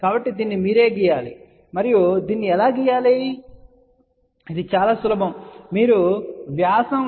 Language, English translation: Telugu, So, you have to draw it yourself and many a times people ask how do you draw this, well it is simple